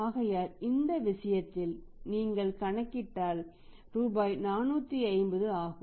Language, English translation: Tamil, So, in this case if you calculate this how much is amount works out is rupees 450